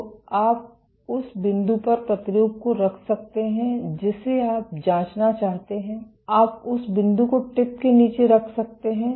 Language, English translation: Hindi, So, you can position the sample at the point you want to be probed you can put that point underneath the tip